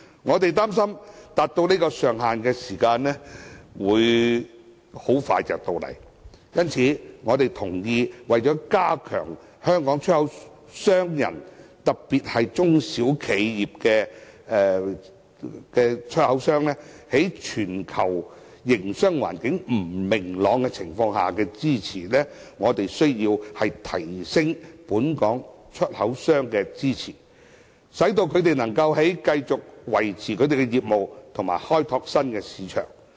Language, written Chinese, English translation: Cantonese, 我們擔心，有關金額很快會達致這上限，因此我們同意，為加強香港出口商人，特別是中小企業出口商，在全球營商環境不明朗情況下的競爭力，我們需要提升對本港出口商的支持，讓他們能繼續維持業務，以及開拓新市場。, We are afraid that the amount will reach the ceiling soon so we agree that we should provide Hong Kong exporters with further support to enable them to sustain their business and open new markets in order to strengthen the competitiveness of our exporters particularly small and medium enterprises SMEs amid the uncertainties in the global business environment